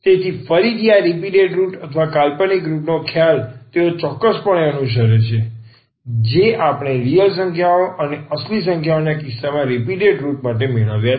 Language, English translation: Gujarati, So, again the idea of this repeated roots or the imaginary roots they exactly follow what we have derived for the distinct roots and the repeated roots in case of the real numbers